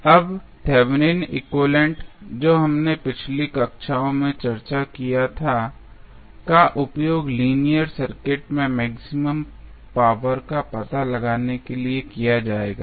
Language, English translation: Hindi, Now, the Thevenin equivalent which we discussed in the previous classes, it is basically will be used for finding out the maximum power in linear circuit